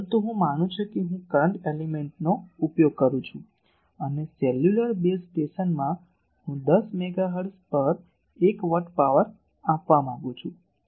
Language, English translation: Gujarati, But I am considering suppose I use an current element and in a cellular base station I want to give 1 watt of power at 10 megahertz